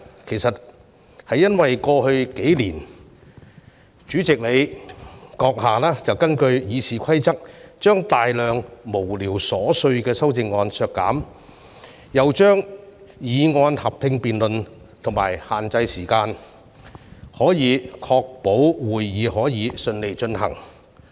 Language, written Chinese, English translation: Cantonese, 其實，是由於主席閣下在過去數年根據《議事規則》把大量無聊瑣碎的修正案削減，又把議案合併辯論及限制辯論時間，從而確保會議得以順利進行。, Why? . This is because the President has in the past few years eliminated a tremendous amount of frivolous amendments conducted joint debates on motions and set limits to the debate time in accordance with the Rules of Procedure so as to ensure the smooth conduct of the meeting